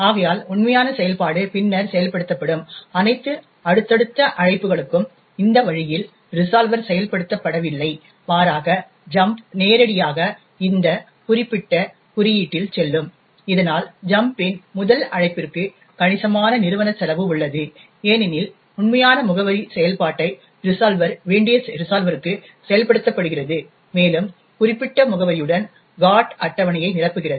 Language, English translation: Tamil, Therefore, the actual function would then get invoked, in this way for all subsequent invocations the resolver is not invoked but rather the jump would directly go into this particular code, thus we see for the first invocation of jump there is considerable amounts of overhead because the resolver gets invoked which has to resolve the actual address function and fill in the GOT table with that particular address